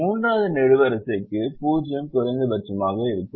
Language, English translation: Tamil, for the third column, the zero happens to be the minimum